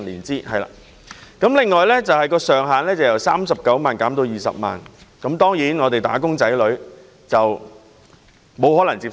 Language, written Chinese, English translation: Cantonese, 政府後來又提出將補償金的上限由39萬元減至20萬元，"打工仔女"當然無法接受。, The Government subsequently proposed lowering the cap of compensation from 390,000 to 200,000 a suggestion that wage earners found utterly unacceptable